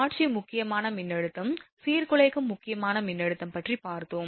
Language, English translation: Tamil, So, visual critical voltage and disruptive critical voltage we got